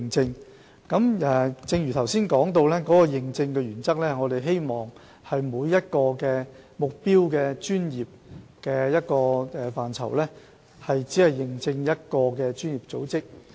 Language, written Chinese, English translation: Cantonese, 正如我剛才所說，我們的認證原則，是希望每一個目標專業只認證一個專業組織。, As I have just said it is our principle to have only one accredited professional body for each target profession